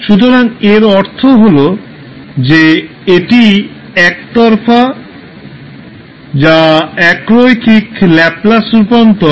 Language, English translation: Bengali, So that means that it is one sided that is unilateral Laplace transform